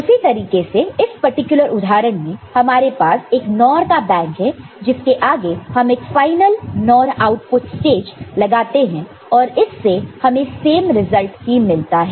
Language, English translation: Hindi, So, similarly for this particular example, we have one NOR bank followed by another final NOR output stage, and we can get the same result ok